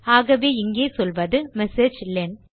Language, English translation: Tamil, So here you say messagelen